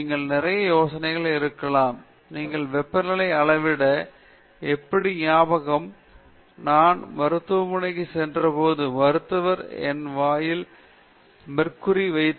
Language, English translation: Tamil, You may have a lot of ideas, you remember how to measure temperature, when i went to the clinic, doctor put a mercury in glass thermometer in my mouth